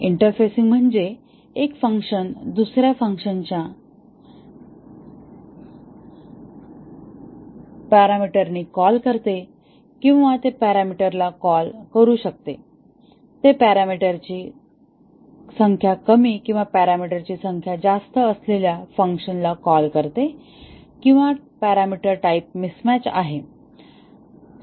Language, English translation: Marathi, Interfacing is that one function calls another function with a wrong parameter or may be it calls a parameter, it calls a function with less number of parameters or more number of parameters or there is a parameter type mismatch